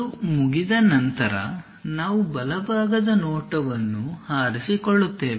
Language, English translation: Kannada, Once that is done we will pick the right side view